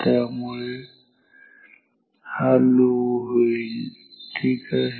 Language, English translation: Marathi, So, this will be low ok